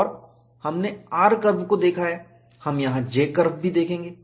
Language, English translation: Hindi, And, we have looked at r curve, we will also look at J curve, here